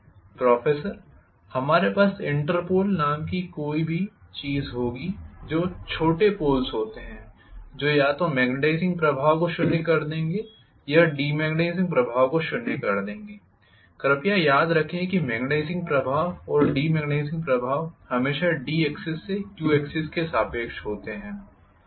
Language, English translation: Hindi, We will also have something called Interpol which are smaller poles which will be either nullifying the magnetizing effect or nullifying the demagnetizing effect, please remember that the magnetizing effect and demagnetizing effect always take place along the Q axis from the D axis